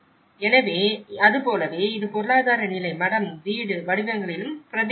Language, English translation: Tamil, So, like that, it has also reflected in the economic status, monastery, house forms